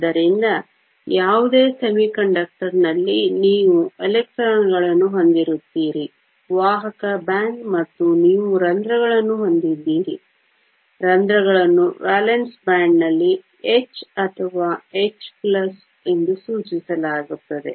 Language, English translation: Kannada, So, in any semiconductor you will have electrons in the conduction band, and you have holes, holes are denoted h or h plus in the valence band